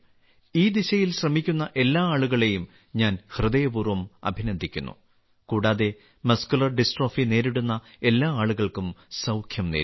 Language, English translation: Malayalam, I heartily appreciate all the people trying in this direction, as well as wish the best for recovery of all the people suffering from Muscular Dystrophy